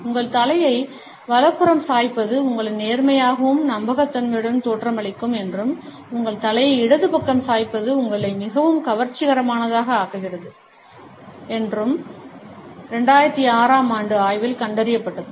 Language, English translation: Tamil, A 2006 study found that tilting your head to the right makes you appear honest and dependable, and tilting your head to the left makes you more attractive